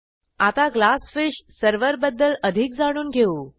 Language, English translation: Marathi, Now, let us learn something about Glassfish server